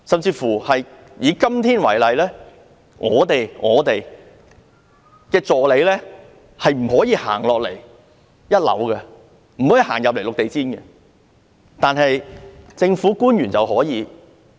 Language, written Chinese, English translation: Cantonese, 就以今天為例，為何我們的助理不能踏入1樓"綠地毯"範圍，但政府官員卻可以？, While our assistants are not allowed to enter the Green Carpet area on the first floor government officers can have access to that area